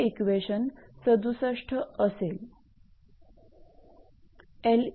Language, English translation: Marathi, So, this is equation 76